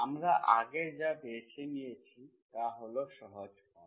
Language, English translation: Bengali, What we have chosen is simple form earlier